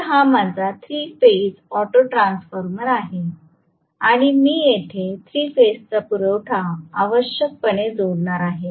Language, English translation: Marathi, So, this is my 3 phase autotransformer and I am going to have essentially the 3 phase supply connected here